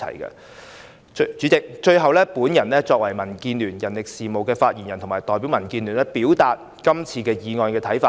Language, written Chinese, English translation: Cantonese, 代理主席，最後，我作為民建聯人力事務的發言人，代表民建聯表達我們對本議案的看法。, Deputy President lastly as the spokesperson for DAB on manpower I will comment on this motion on behalf of DAB